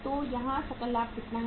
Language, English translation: Hindi, So how much is the gross profit here